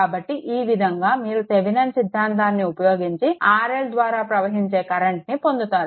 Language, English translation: Telugu, Using Thevenin theorem, you have to find out the current through this